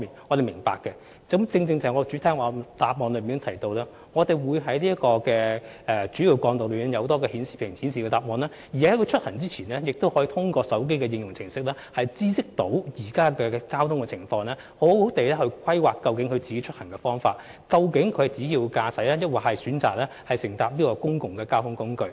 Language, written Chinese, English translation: Cantonese, 我正正在主體答覆中提及，我們會在主要幹道的顯示屏顯示有關資訊，而駕駛者在出行前亦可透過手機的應用程式知悉當時的交通情況，以便更好地規劃出行方法，例如應該選擇自駕還是使用公共交通工具。, My main reply exactly says that we will display the relevant information on message signs on major roads . And before starting their trips drivers may learn the prevailing traffic conditions through our mobile phone applications and in turn make better transport planning . For example they may choose to drive their own cars or use public transport